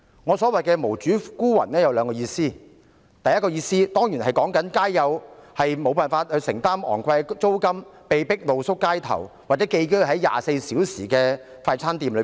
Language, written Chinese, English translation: Cantonese, 我所說的"無主孤魂"有兩個意思：第一，當然是指他們無法承擔昂貴租金，因此被迫露宿街頭，或寄居在24小時營業的快餐店。, My mention of the word outcasts bears two meanings . First it certainly means that they cannot afford the exorbitant rent . As a result they are forced to sleep in the street or stay in fast food shops which operate round the clock